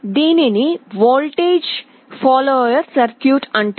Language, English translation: Telugu, This is called a voltage follower circuit